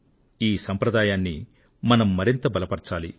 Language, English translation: Telugu, We have to further fortify that legacy